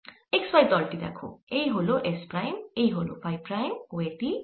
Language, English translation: Bengali, let's say: this is s prime, this is phi prime and this is s